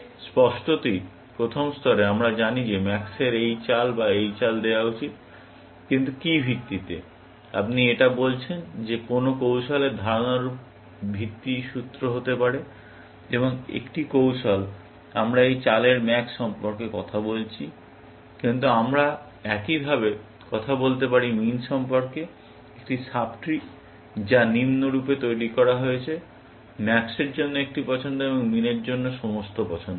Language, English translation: Bengali, Obviously, at the first level, we have known that max should make as this move or this move, but on what basis, are you saying that; that basis can be formulas in the notion of the strategy, and a strategy; we are talking about max at this movement, but we can talk similarly, about min; is a sub tree, which is constructed as follows, that one choice for max, and all choices for min